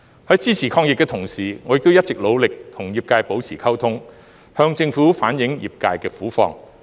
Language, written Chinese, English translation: Cantonese, 在支持抗疫的同時，我亦一直努力與業界保持溝通，向政府反映業界的苦況。, In addition to supporting the effort to fight the epidemic I have also made an effort to maintain communication with the industry and relay their difficult situation to the Government